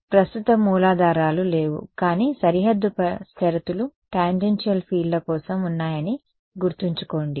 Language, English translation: Telugu, No not no current sources are of course not there, but remember the boundary conditions are for tangential fields